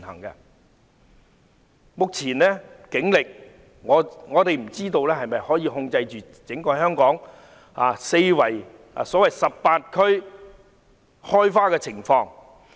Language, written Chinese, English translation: Cantonese, 我不知道以目前的警力，能否控制香港所謂 "18 區開花"的情況。, I do not know if the Police can suppress the so - called blooming in 18 districts with its present strength